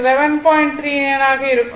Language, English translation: Tamil, So, it is 39 0